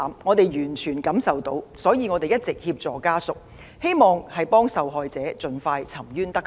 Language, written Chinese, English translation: Cantonese, 我們完全感受到家屬的哀痛，所以一直協助他們，希望受害者盡快沉冤得雪。, We shared the familys feelings and pains and have since been assisting them hoping that justice would be done to the victim